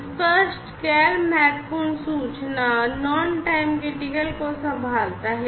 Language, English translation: Hindi, Explicit handles non time critical information